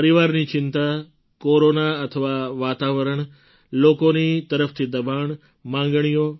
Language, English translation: Gujarati, Concerns regarding the family, the Corona atmosphere, pressures from people, demands